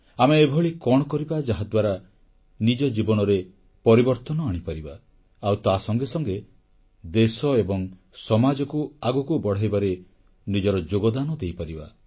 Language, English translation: Odia, What exactly should we do in order to ensure a change in our lives, simultaneously contributing our bit in taking our country & society forward